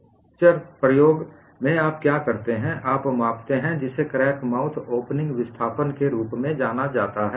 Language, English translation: Hindi, In fracture toughness experiment, what you do is you measure, what is known as crack mouth opening displacement